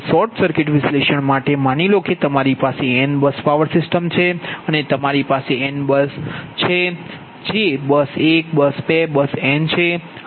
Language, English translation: Gujarati, right now for short circuit analysis, suppose you have a in bus power system, right, you have a n bus power system, that is bus one, bus two, bus n